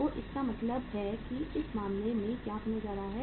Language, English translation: Hindi, So it means in this case what is going to happen